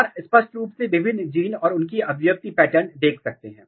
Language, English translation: Hindi, And you can clearly see different genes and their expression pattern